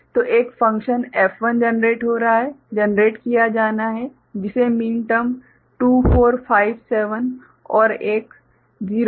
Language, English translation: Hindi, So, one function F1 is getting generated, is to be generated which has got min terms 2, 4, 5, 7 another one 0, 1, 2, 4, 6 ok